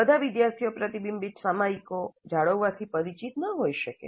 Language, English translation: Gujarati, And not all students may be familiar with maintaining reflective journals